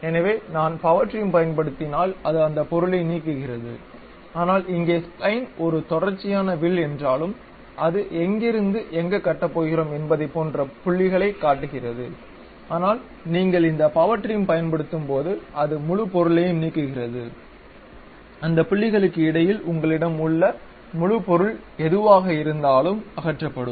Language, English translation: Tamil, So, if I use Power Trim it removes that object, but here Spline is a continuous curve though it is showing like points from where to where we are going to construct, but when you use this Power Trim it removes the entire object, whatever the entire object you have between the points that will be removed